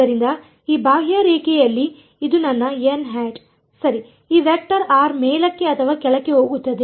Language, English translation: Kannada, So, on this contour this is my n hat right which way is my this vector r upwards or downwards